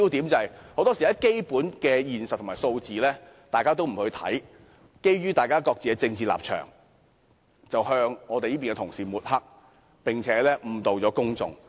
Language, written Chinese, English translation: Cantonese, 建制派很多時不理會基本實際情況和數字，只是基於政治立場，抹黑反對派的同事，並且誤導公眾。, The pro - establishment camp very often ignores the real situation and data . They only smear the opposition colleagues based on their political position and they also mislead the public